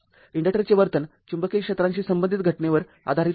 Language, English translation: Marathi, The behavior of inductor is based on phenomenon associated with magnetic fields